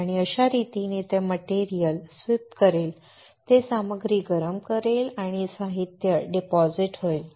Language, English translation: Marathi, And this is how it will sweep the material it will heat the material and materials gets deposited